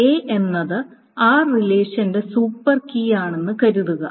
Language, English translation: Malayalam, Suppose A is the super key of this relation R